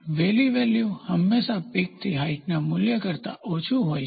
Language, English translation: Gujarati, The valley is always the value is always much less than peak to height value